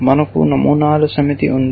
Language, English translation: Telugu, We have just a set of patterns